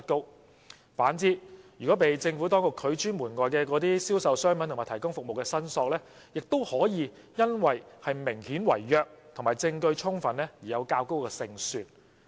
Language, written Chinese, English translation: Cantonese, 相反，被政府當局拒諸門外的銷售商品和提供服務的申索，亦可以因為明顯違約及證據充分而有較高勝算。, On the contrary claims related to sale of goods and provision of services―which have been refused by the Administration to include in SLAS―may have a high success rate due to obvious breach of contract and adequate evidence